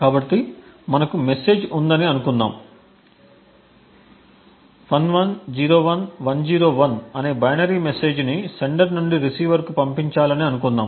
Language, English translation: Telugu, So, let us say that we have a message and assume a binary message of say 1101101 to be sent from the sender to the receiver